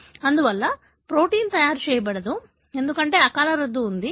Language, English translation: Telugu, Therefore, the protein will not be made, because there is a premature termination